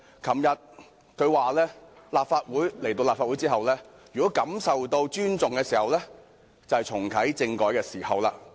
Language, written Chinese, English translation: Cantonese, 她昨天表示，如果來到立法會後感受到尊重，那便是重啟政改的時候。, She said yesterday that the day when she could feel respect for her in the Legislative Council would be the time for reactivating constitutional reform